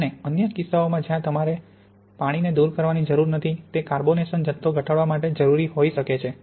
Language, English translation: Gujarati, And in other cases where even though you do not need to remove the water it may be good way of minimizing the amount of carbonation